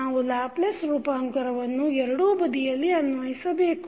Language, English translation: Kannada, We have to take the Laplace transform on both sides